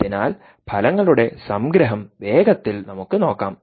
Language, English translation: Malayalam, so lets quickly looked at the summary of the results